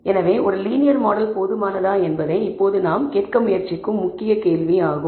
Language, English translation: Tamil, So, the main questions that we are trying to ask now whether a linear model is adequate